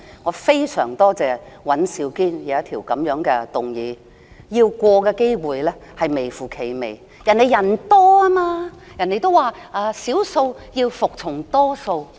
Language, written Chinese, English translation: Cantonese, 我非常感謝尹兆堅議員提出這項議案，但這項議案通過的機會微乎其微，因為他們人數較多，他們說少數要服從多數。, I am very grateful to Mr Andrew WAN for proposing this motion . Nevertheless it is most unlikely that the motion would be passed because they are the majority and according to them the majority should prevail